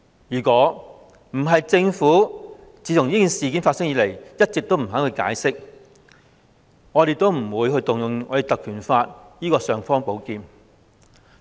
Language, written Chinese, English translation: Cantonese, 如果不是政府自事件發生後一直不願解釋，我們也不會引用《立法會條例》這把"尚方寶劍"。, If the Government had not refused to give an explanation after the incident we would not have invoked the imperial sword of the Legislative Council Ordinance